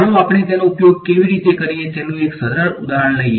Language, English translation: Gujarati, Let us take a simple example of how we use them